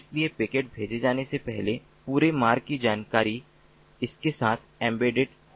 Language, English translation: Hindi, so before the the ah packet is sent, the entire route information is embedded to it